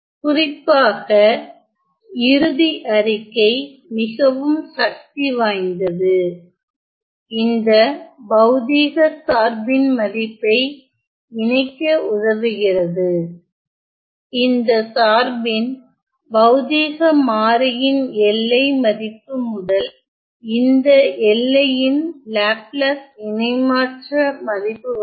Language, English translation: Tamil, Specially, the last statement is quite powerful it helps us to connect the value of this physical function, function for the physical variable in the limiting value to the value of the Laplace transform in this limit